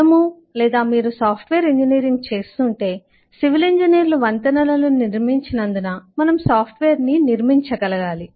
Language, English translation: Telugu, if you are doing software engineering, then we must be able to construct software, as civil engineers build bridges